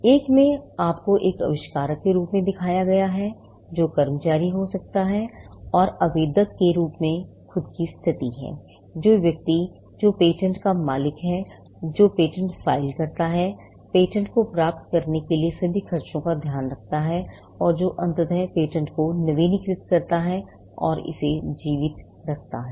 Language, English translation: Hindi, One, you are shown as a inventor, which could be the employee and there is a status of as the applicant itself who, the person who owns the patent, who files the patent, takes care of all the expenses for the patent to get granted, and who eventually renews the patent and keeps it alive